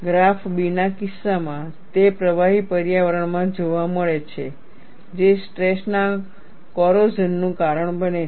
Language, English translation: Gujarati, In the case of graph b, it is observed in liquid environments, that cause stress corrosion